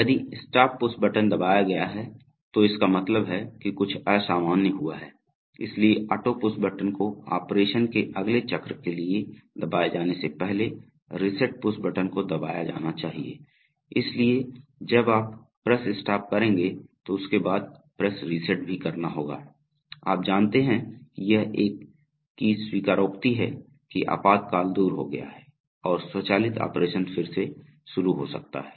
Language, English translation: Hindi, If the stop push button has been pressed it means that something abnormal might have happened, so the reset push button must be pressed before the auto push button can be pressed for the next cycle of operation, so once you have press stop you have to press reset, you know it is a kind of acknowledgement that the emergency has gone away and the automated operation can resume